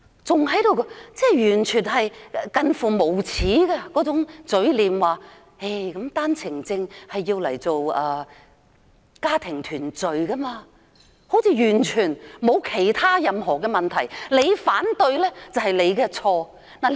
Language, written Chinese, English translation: Cantonese, 政府以近乎無耻的嘴臉，說單程證用作家庭團聚，完全沒有問題，我們反對的話便是錯誤。, Yet the Government shamelessly claims that the OWP scheme is just fine using family reunion as a pretext; it is us who are in the wrong by raising objection